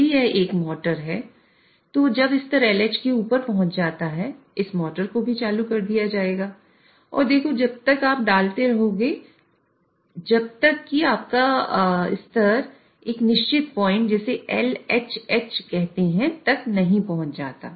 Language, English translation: Hindi, So if this is a motor then this motor will also be switched on when the level is above LH and addition will take place till your level reaches a certain point known as LHH